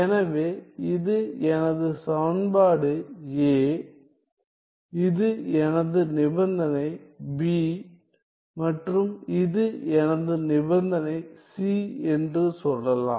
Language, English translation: Tamil, So, then let us say this is my equation A this is my condition B and this is my condition C